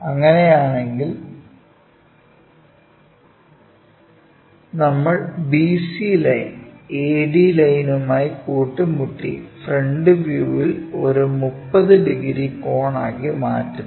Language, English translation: Malayalam, If that is the case, we see BC line, AD line coincides making an angle 30 degrees in the front view